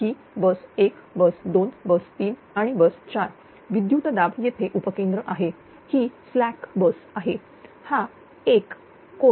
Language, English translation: Marathi, This is bus 1, bus 2, bus 3, bus 4; voltage is here substation; this is slag bus; this is 1 angle 0; v2, v3, v4